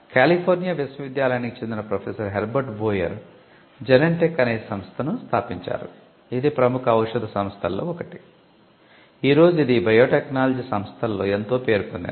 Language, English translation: Telugu, Herbert Boyer a professor from University of California co founded the company Genentech, which is one of the leading pharmaceutical companies, which involved in biotechnology today